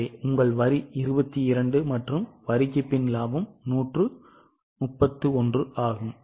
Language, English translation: Tamil, So your tax is 22 and profit after tax is 131